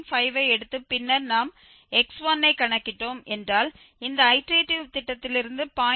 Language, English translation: Tamil, 5 then we compute x1 from this iterative scheme 0